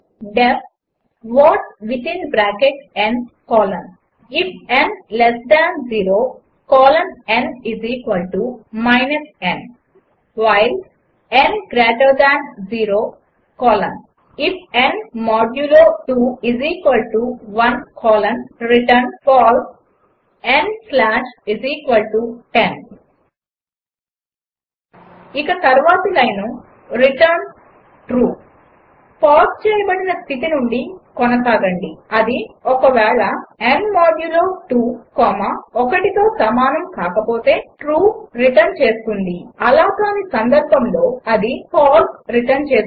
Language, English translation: Telugu, def what within bracket n colon if n less than 0 colon n = n while n greater than 0 colon if n modulo 2 == 1 colon return False n slash = 10 And the next line is return True continue from paused state It will return true if n modulo 2 is not equal to 1 and will return false, otherwise